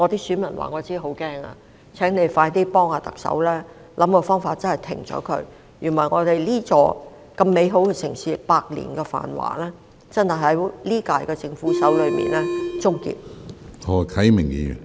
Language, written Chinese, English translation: Cantonese, 司長，請你快快幫忙特首，想個辦法停止這情況，否則，我們這座美好城市的百年繁華，便真的會在今屆政府手中終結。, Financial Secretary please quickly help the Chief Executive to think of ways to quell the situation . Otherwise the prosperity of this beautiful city which we have enjoyed for a century will be ended in the hands of the Government of the current term